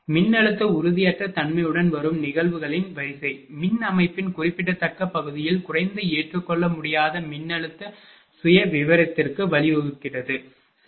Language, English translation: Tamil, By which the sequence of events accompanying voltage instability leads to a low unacceptable voltage profile in a significant part of the power system, right